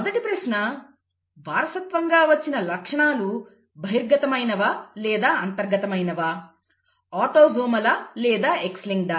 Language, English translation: Telugu, The first question was; is the inherited character dominant or recessive, is it autosomal or X linked; that is the first question